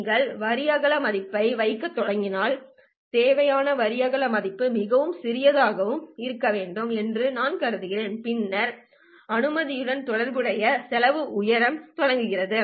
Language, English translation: Tamil, If you start putting the line width value, I mean require the line width value to be very small and small, then the expense associated with the laser also starts going up